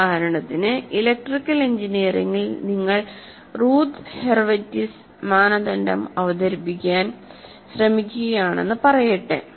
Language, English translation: Malayalam, For example, in electrical engineering, let's say you are trying to present something like Roth Harvard's criteria